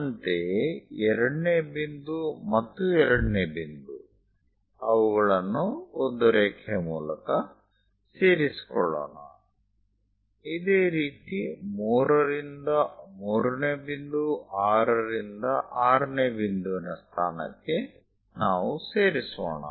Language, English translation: Kannada, Similarly, 2nd point and 2nd point join them by a line; 3rd to 3rd point 3 we are going to join, similarly 6th point to 6th one let us join it